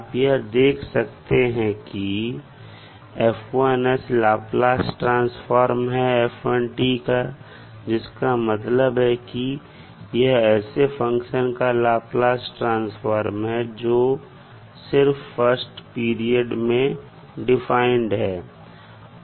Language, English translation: Hindi, We can observe absorb that F1 s is the Laplace transform of f1 t that means it is the Laplace transform of function defined over its first period only